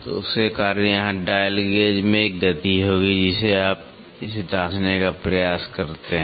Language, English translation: Hindi, So, because of that here there will be a motion in the dial gauge you try to check it